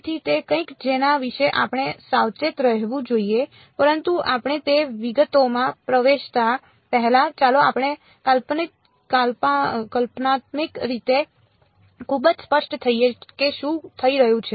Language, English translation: Gujarati, So, that something that we have to be careful about, but before we get into those details is let us be conceptually very clear what is happening